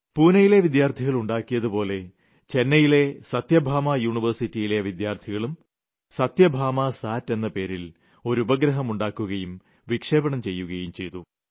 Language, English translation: Malayalam, On similar lines as achieved by these Pune students, the students of Satyabhama University of Chennai in Tamil Nadu also created their satellite; and their SathyabamaSAT has also been launched